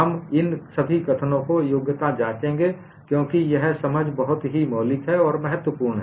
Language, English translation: Hindi, We would qualify all these statements because this understanding is very fundamental and it is important